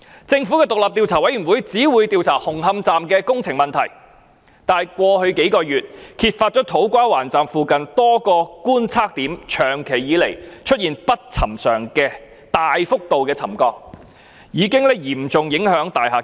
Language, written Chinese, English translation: Cantonese, 政府的獨立調查委員會只會調查紅磡站的工程問題，但過去幾個月，首先揭發土瓜灣站附近多個觀測點長期以來出現不尋常的大幅度沉降，已經嚴重影響大廈結構。, The Commission will only investigate problems relating to the construction works of the Hung Hom Station . But during the past several months it was first exposed that unusual excessive settlement had occurred persistently at a number of monitoring points in the vicinity of the To Kwa Wan Station which has seriously affected the structure of the buildings